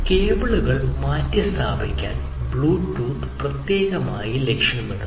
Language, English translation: Malayalam, Bluetooth is particularly aimed at replacing the cables